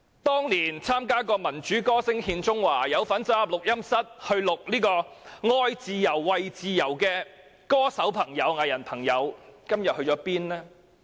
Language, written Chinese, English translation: Cantonese, 當年曾經參加"民主歌聲獻中華"，或走進錄音室參與錄製"愛自由、為自由"的歌手和藝人，今天究竟去了哪裏？, Where have all those singers and artistes who attended the Concert for Democracy in China or entered the studio to take part in recording the song Love freedom; For freedom gone?